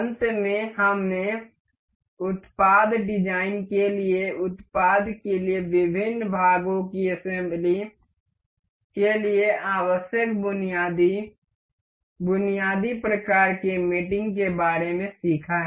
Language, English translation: Hindi, In the end, we have learned the we have learned about basic, basic kinds of mating that is needed for assembly of different parts for product for product design